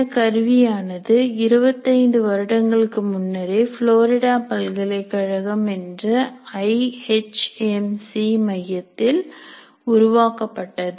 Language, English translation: Tamil, And this tool has been developed more than 25 years ago at the University of Florida